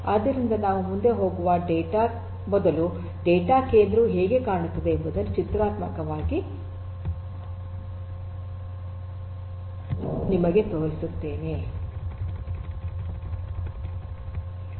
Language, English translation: Kannada, So, before we go any further let me just show you pictorially how a data centre looks like